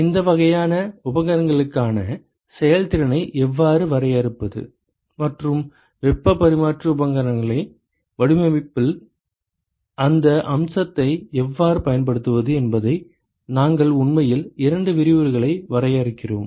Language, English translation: Tamil, We will actually define mostly two lectures down the line, how to define efficiency for these kinds of equipments and how do you use that aspect into designing the heat exchanger equipment